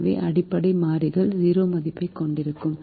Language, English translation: Tamil, so the basic variables will have zero value